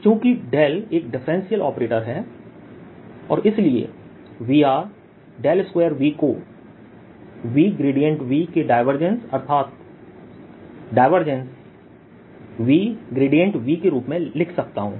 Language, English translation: Hindi, since del is a differential operator, i can write this as divergence of v gradient of v, and this will give me gradient v dot, gradient v plus v del square v